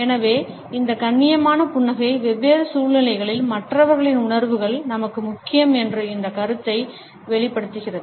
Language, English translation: Tamil, So, this polite smile conveys this idea that the feelings of other people are important to us in different situations